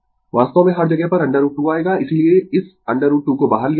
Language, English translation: Hindi, Actually everywhere root 2 will come that is why this root 2 is taken outside, right